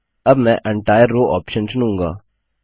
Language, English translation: Hindi, Next I choose Entire Row option